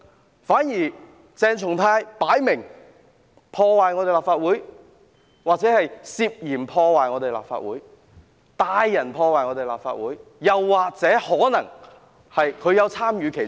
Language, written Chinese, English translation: Cantonese, 相反，鄭松泰議員分明破壞立法會大樓——或涉嫌破壞立法會大樓、帶人破壞立法會大樓，說不定他可能也有參與其中。, On the contrary Dr CHENG Chung - tai has obviously vandalized the Legislative Council Complex―or he allegedly has vandalized the Legislative Council Complex brought in people to vandalize the Legislative Council Complex and may have participated in the process